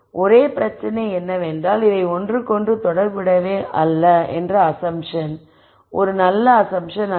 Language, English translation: Tamil, The only problem is that the assumption that these are not related to each other is not a good assumption to make